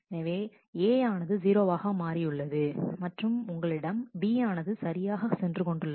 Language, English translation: Tamil, So, A has become 0, and then you have the B which goes on correctly